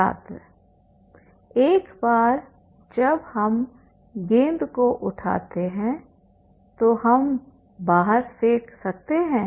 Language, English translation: Hindi, Once you pick the ball, you can throw outside